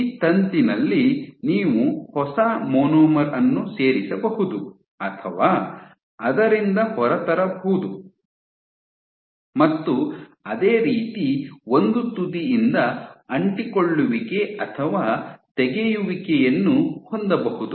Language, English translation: Kannada, This filament in this filament you can have a new monomer getting added or coming out of it similarly you can have adhesion or removal from one end